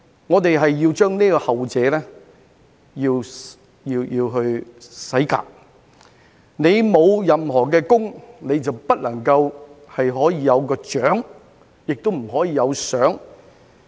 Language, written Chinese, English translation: Cantonese, 我們要把後者洗革；你沒有任何的功，就不能夠有獎，亦不能夠有賞。, We need to get rid of the latter . Those who have achieved nothing should not receive any awards or rewards